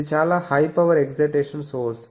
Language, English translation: Telugu, It is a very high power excitation source